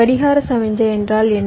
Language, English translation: Tamil, what is a clock signal